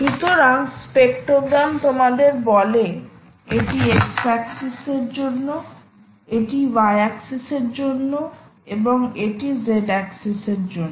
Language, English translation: Bengali, essentially, we will tell you: ah, this is for the x axis, this is for the y axis and this is for the z axis